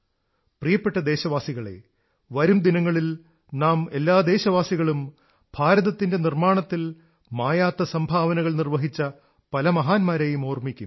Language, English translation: Malayalam, My dear countrymen, in the coming days, we countrymen will remember many great personalities who have made an indelible contribution in the making of India